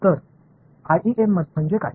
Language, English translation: Marathi, So, what is IEM